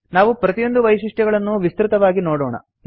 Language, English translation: Kannada, We will look into each of these features in detail